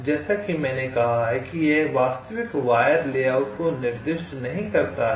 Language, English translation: Hindi, in this step, as i said, it does not specify the actual wire layouts